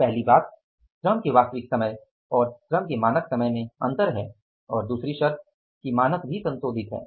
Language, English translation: Hindi, So, number one, there is a difference in the actual time of labor and standard time of labor and the second or the first condition is that standard is also revised